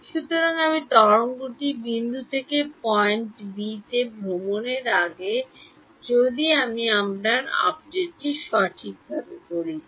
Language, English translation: Bengali, So, before I before the wave travels from point a to point b is when I do my update right